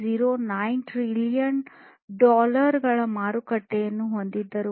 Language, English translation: Kannada, 09 trillion dollars